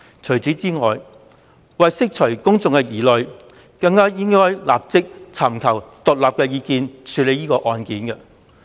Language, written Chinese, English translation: Cantonese, 此外，為釋除公眾疑慮，她更應該立即尋求獨立法律意見，處理此案。, Besides to allay public concern she should even seek independent legal advice forthwith and deal with this case